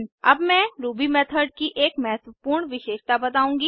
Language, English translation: Hindi, Now I will show you one important feature of Ruby method